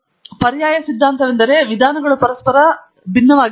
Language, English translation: Kannada, Here the alternative hypothesis is that the means are different from each other